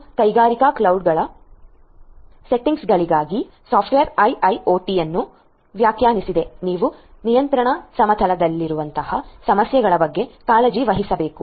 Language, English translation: Kannada, And software defined IIoT for industrial cloud settings you need to take care of issues like the ones over here in the control plane